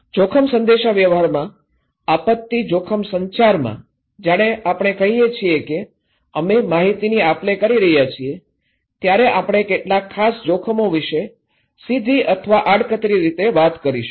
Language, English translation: Gujarati, In risk communication, in disaster risk communications, when we say we are exchanging informations, we are directly or indirectly talking about some particular hazards and risk